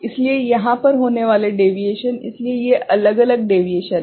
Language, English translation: Hindi, So, the deviation occurring over here, so these are the different deviations ok